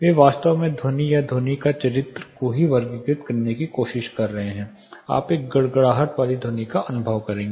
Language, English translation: Hindi, They are actually trying to categorize the sound itself, the character of the sound itself you will experience a rumbling sound